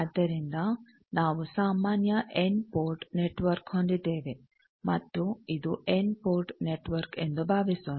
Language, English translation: Kannada, So, let us see, suppose we have a general input network and in this is an N port network